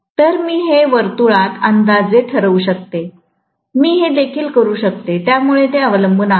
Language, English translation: Marathi, So, I can approximate it to a circle, I can do this also, so it depends, right